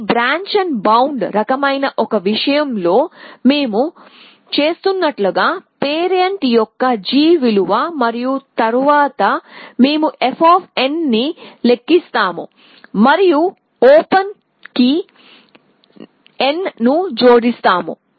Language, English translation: Telugu, The g value of the parent exactly as we were doing in this branch and bound kind of a thing and then we compute f of n and we say add n to open